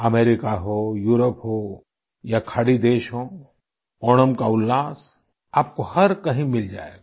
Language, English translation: Hindi, Be it America, Europe or Gulf countries, the verve of Onam can be felt everywhere